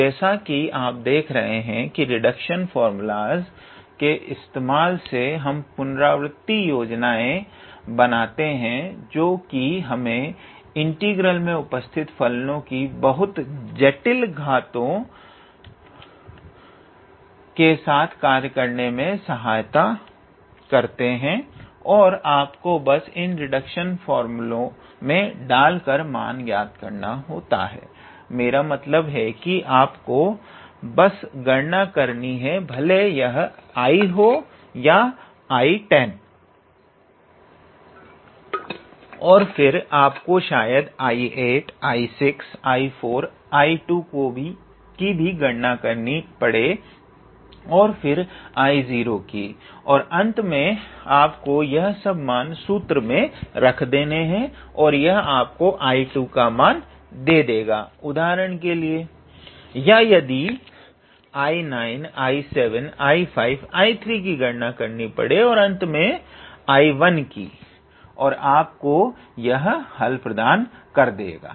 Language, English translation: Hindi, So, as you are seeing that by the help of these reduction formulas we are deriving some kind of iterative schemes that will help us calculate very complicated powers of functions involved in your integral and you just have to put in those reduction formula you just I mean and you just calculate if it is either known I to the I 10 and then you may have to calculate I 8 I 6 I 4 I 2